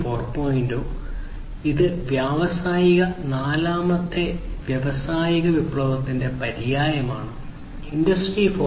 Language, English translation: Malayalam, 0, which is the synonym of industrial fourth industrial revolution; this term Industry 4